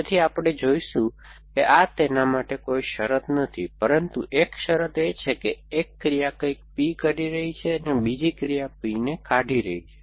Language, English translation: Gujarati, So, we will see this is not a condition for that, but one condition is that the one action is producing something P and the other action is deleting P